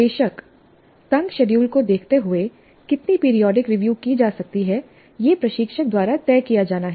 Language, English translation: Hindi, Of course, given the tight schedules, how much of periodic review one can do has to be decided by the instructor